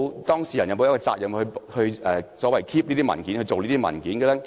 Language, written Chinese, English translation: Cantonese, 當事人有沒有責任保存和擬備這些文件？, Does the party concerned have a responsibility to prepare and keep these documents?